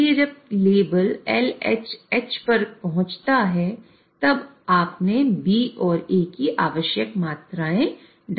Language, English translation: Hindi, So, till the level reaches LH, you will have addition of A